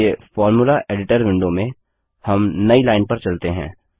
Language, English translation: Hindi, Let us go to a new line in the Formula Editor Window